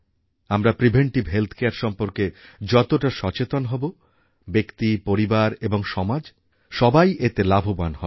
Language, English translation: Bengali, And, the more we become aware about preventive health care, the more beneficial will it be for the individuals, the family and the society